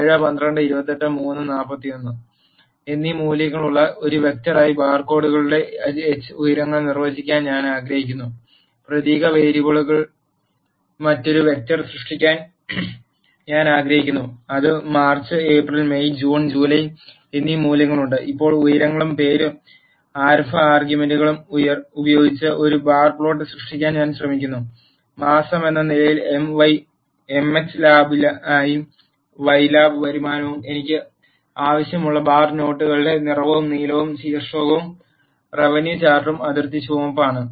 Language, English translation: Malayalam, I want to define h heights of the barcodes as a vector, which is having the values 7, 12, 28, 3 and 41, and I want to create another vector which is of character variable, which is having the values March, April, May, June and July, and now, I am trying to create a bar plot with h as heights and name start arguments as m x lab as month, y lab as revenue and the colour of the bar notes I want, is blue and the title is revenue chart and the border is red